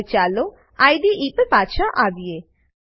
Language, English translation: Gujarati, Now, let us come back to the IDE